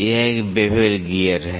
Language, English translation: Hindi, This is a bevel gear